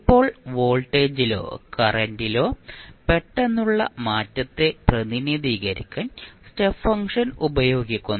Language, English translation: Malayalam, Now, step function is used to represent an abrupt change in voltage or current